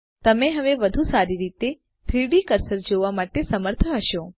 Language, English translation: Gujarati, There, you might be able to see the 3D cursor better now